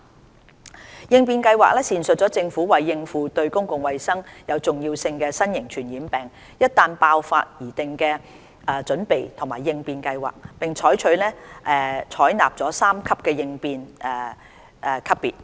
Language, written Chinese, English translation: Cantonese, 準備及應變計劃闡述政府為應付"對公共衞生有重要性的新型傳染病"一旦爆發而擬定的準備和應變計劃，並採納三級應變級別。, The Preparedness and Response Plan sets out the Governments preparedness and response plan in case of an outbreak of Novel Infectious Disease of Public Health Significance where a three - tier response level is adopted